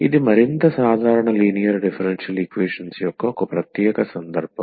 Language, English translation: Telugu, So, that is a particular case of more general linear differential equations